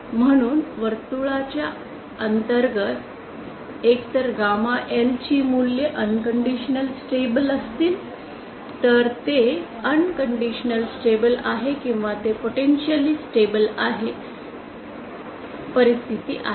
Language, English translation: Marathi, so, Either gamma L values inside the circle will be unconditionally stable will lead to unconditional stability or they will lead to potentially instable situations